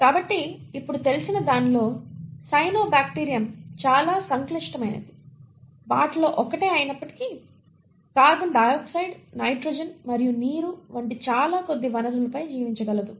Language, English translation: Telugu, So in what is now known today is that the cyanobacterium although one of the more complex ones, can survive on very bare resources like carbon dioxide, nitrogen and water